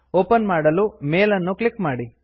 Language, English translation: Kannada, Click on the mail to open it